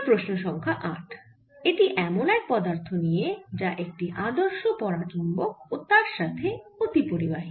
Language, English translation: Bengali, question number eight: it concerns a material which is a perfect diamagnetic and that is a superconductor